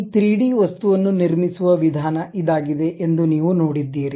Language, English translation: Kannada, You see this is the way we construct this 3D object